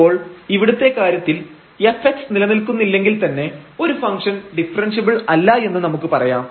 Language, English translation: Malayalam, So, in this case if this f x does not exist there itself we can tell that a function is not differentiable though in this case both the derivatives do not exist